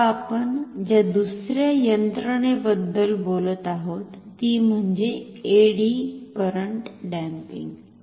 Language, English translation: Marathi, Now, another mechanism we are going to talk about is eddy current damping